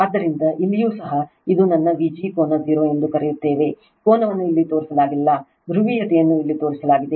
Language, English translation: Kannada, So, here also here also your what you call this is also my V g angle 0, angle is not shown here, polarity is shown here